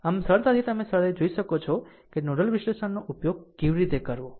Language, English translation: Gujarati, So, easily you can easily you can find out how using nodal analysis